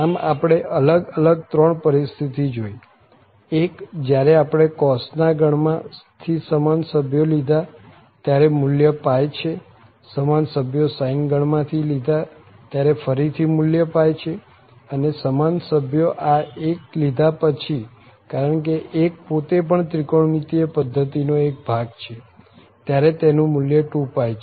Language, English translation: Gujarati, So, these three situations we have covered, one when we have taken the same member from the cos family, value is pi, the same member from the sine family, again the value is pi, and the same member of this 1 itself, because 1 is also a member of the trigonometric system in that case this is 2 pi